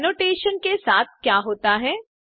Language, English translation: Hindi, What happens to the first annotation#160